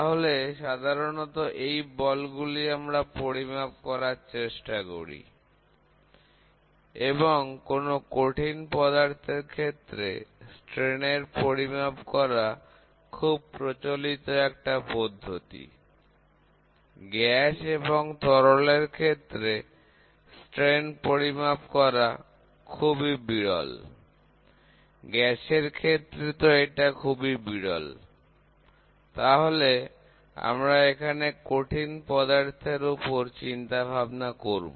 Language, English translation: Bengali, So, these are the typical forces, we generally use to measure and all the measurement which is the measuring strains is very common in solid only, gas and liquid strains are very rarely measured, gases it is very rarely measured and solid we always go focus on it